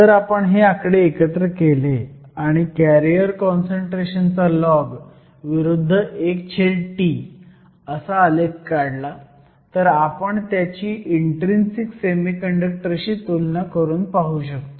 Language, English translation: Marathi, If we put these numbers together, and did a plot of the log of the carrier concentration versus one over T, we can compare that to your intrinsic semiconductor